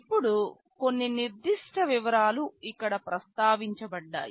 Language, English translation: Telugu, Now, some specific details are mentioned here